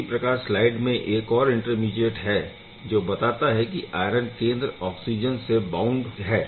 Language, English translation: Hindi, There is yet another intermediate which shows that iron center is bound with oxygen